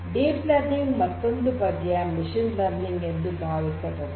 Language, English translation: Kannada, Now, deep learning is like machine learning